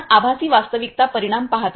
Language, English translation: Marathi, You see right the virtual reality scenario